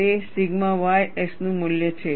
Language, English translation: Gujarati, It is a value of sigma y s